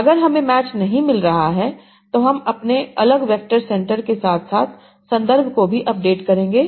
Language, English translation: Hindi, If I am not finding a match I will update my different vectors for center as well as the context